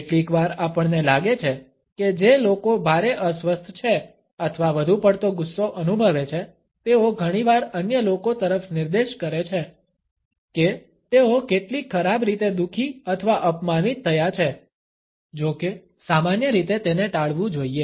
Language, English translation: Gujarati, Sometimes we feel that people who have been deeply upset or feel excessive anger often point towards others to indicate how badly they have been hurt or insulted; however, normally it should be avoided